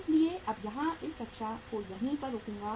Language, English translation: Hindi, So I will stop here in this class